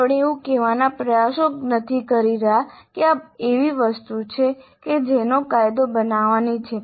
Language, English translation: Gujarati, We are not trying to say that this is something which is to be legislated